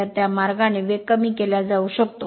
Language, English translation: Marathi, So, in that way speed can be reduced right